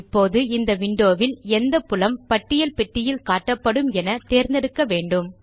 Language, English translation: Tamil, Now, in this window, we need to choose the field that will be displayed in the List box